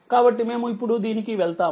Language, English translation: Telugu, So, let us move to this now